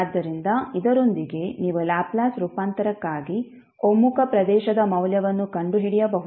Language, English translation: Kannada, So with this you can find out the value of the region of convergence for Laplace transform